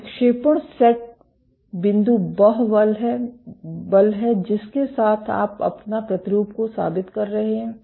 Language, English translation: Hindi, So, deflection set point is the force with which you are proving your sample